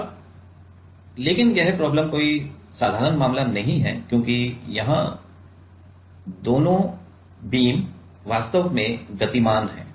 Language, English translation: Hindi, Now, but this problem is not the not the simple case right because here both the beams are actually moving